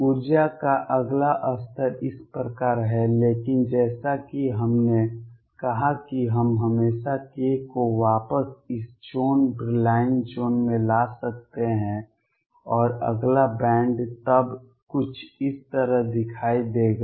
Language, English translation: Hindi, Next level of energy is like this, but as we said we can always bring k back to within this zone Brillouin zone and the next band then would look something like this